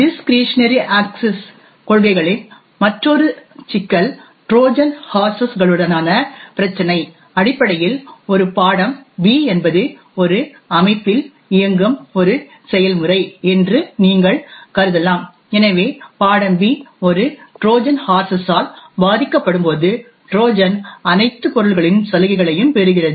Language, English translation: Tamil, Another problem with discretionary access policies is the issue with Trojan horses, essentially when a subject B you can assume that subject B is a process running in a system, so when the subject B is affected by a Trojan horse, the Trojan would get to inherit all the subjects privileges